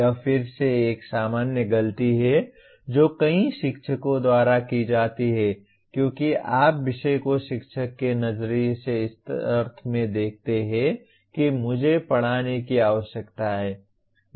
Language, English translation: Hindi, This is again a kind of a common mistake that is done by several teachers because you look at the subject from a teacher perspective in the sense that I need to teach